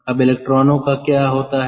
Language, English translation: Hindi, now what happens to the electrons